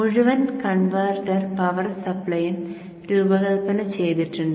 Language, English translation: Malayalam, So the entire converter power supply is designed